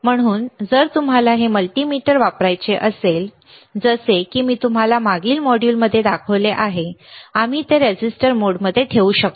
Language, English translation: Marathi, So, here if you want to use this multimeter, like I have shown you in the last module, we can we can keep it in the resistance mode